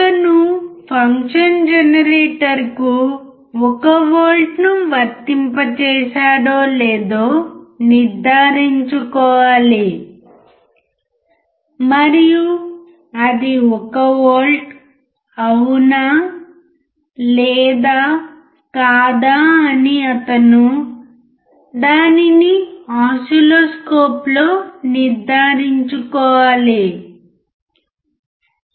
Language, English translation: Telugu, He has to check whether the function generator he has applied 1 volt, is it 1 volt or not he has to check it on the oscilloscope